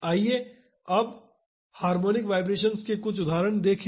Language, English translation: Hindi, Now, let see some examples of harmonic vibrations